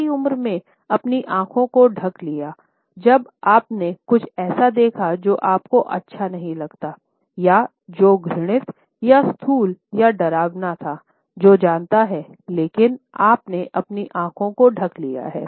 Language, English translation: Hindi, younger did you ever cover your eyes, when you saw something that you did not like or that what is disgusting or gross or scary, who knows, but you covered your eyes